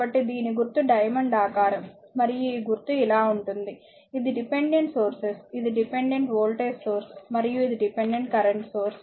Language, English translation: Telugu, So, symbol is this is diamond shape and this symbol is your like this that is the dependent sources these dependent voltage source and this is dependent current source